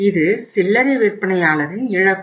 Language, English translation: Tamil, It is a loss of the retailer